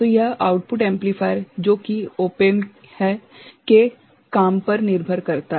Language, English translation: Hindi, So, it depends on the working of the output amplifier that is op amp